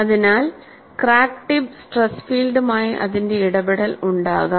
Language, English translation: Malayalam, So, there could be interaction of this, with the crack tip stress field